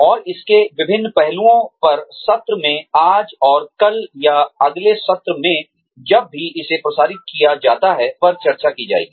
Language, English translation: Hindi, And, various aspects to it, will be discussed in the session, today and tomorrow, or in the next session, whenever it is aired